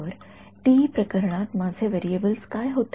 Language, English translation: Marathi, So, TE case what are my variables